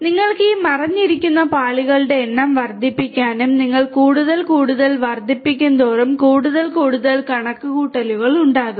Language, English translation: Malayalam, And you know you can increase the number of these hidden layers and the more and more you increase, the more and more computations will be there